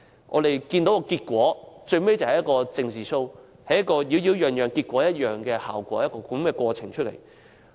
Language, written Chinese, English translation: Cantonese, 我們看到，最終這只是一場"政治 Show"， 只有"擾擾攘攘，結果一樣"的過程及效果。, As we can see eventually this is only a political show . After much ado during the process the result is just the same